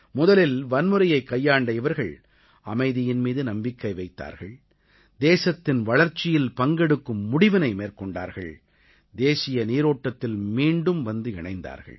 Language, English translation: Tamil, Those who had strayed twards the path of violence, have expressed their faith in peace and decided to become a partner in the country's progress and return to the mainstream